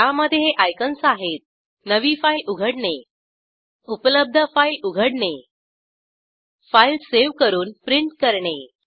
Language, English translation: Marathi, There are icons to open a New file, Open existing file, Save a file and Print a file